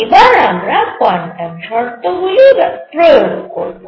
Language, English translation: Bengali, So now let us apply quantum conditions